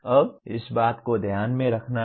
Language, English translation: Hindi, Now this is what one has to keep in mind